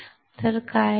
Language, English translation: Marathi, So, what happened